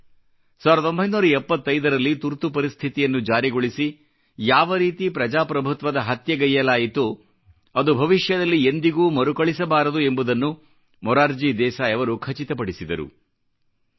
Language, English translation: Kannada, In this way, Morarji Bhai ensured that the way democracy was assassinated in 1975 by imposition of emergency, could never be repeated againin the future